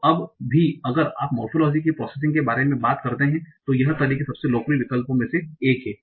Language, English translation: Hindi, So even now if you talk about processing the morphology, finite methods are one of the most popular choices